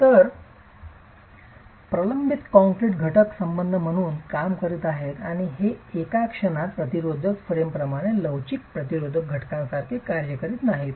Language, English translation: Marathi, So, the reinforced concrete elements are acting as ties and they are not acting as flexure resisting elements as in a moment resisting frame